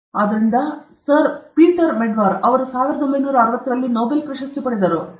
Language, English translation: Kannada, So, this Sir Peter Medawar; he got the Nobel prize in 1960